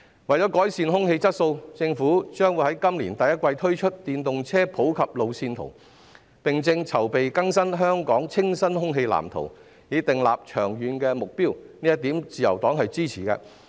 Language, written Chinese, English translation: Cantonese, 為了改善空氣質素，政府將在今年第一季推出電動車普及化路線圖，並正籌備更新《香港清新空氣藍圖》，以訂立長遠的目標，自由黨對此表示支持。, To improve the air quality the Government will introduce the roadmap on the popularization of electric vehicles in the first quarter of this year and it is also preparing to update the Clean Air Plan for Hong Kong so as to set a long - term objective . The Liberal Party expresses its support for this